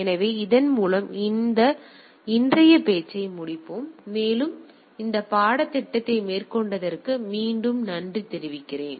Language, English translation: Tamil, So, with this let us conclude this today’s talk and also let me thank you again for the taking up this course